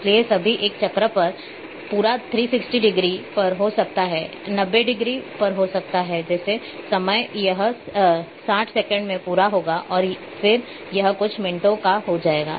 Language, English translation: Hindi, So, all will complete one cycle may be at 360 degree may be at 90 degree maybe like time it will complete in at 60 seconds and then it becomes one minutes